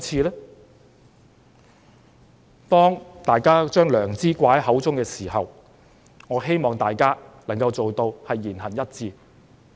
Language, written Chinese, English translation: Cantonese, 當大家把良知掛在嘴邊時，我希望大家能夠言行一致。, I hope that those who often talk about conscience can do what they say